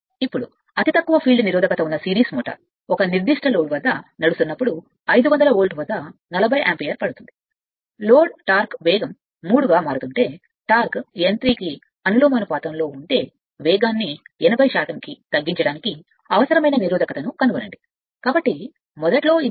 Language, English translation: Telugu, Now, next is a series motor with negligible field resistance, when run at a certain load takes 40 ampere at 500 volt, if the load torque varies as the [scues/cube] cube of the speed the torque is proportional to n cube, find the resistance necessary to reduce the speed to 80 percent of it is original value right